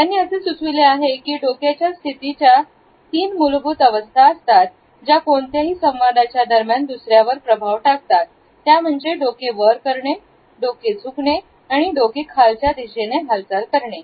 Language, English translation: Marathi, He has suggested that there are three basic head positions, which leave a lasting impression during any interaction and that is the head up, the head tilts and the head down movement